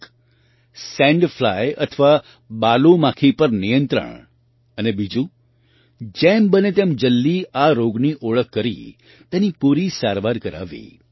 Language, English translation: Gujarati, One is control of sand fly, and second, diagnosis and complete treatment of this disease as soon as possible